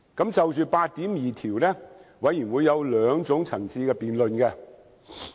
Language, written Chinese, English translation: Cantonese, 就《條例草案》第82條，法案委員會有兩個層次的辯論。, In respect of clause 82 of the Bill the Bills Committee had conducted two levels of argument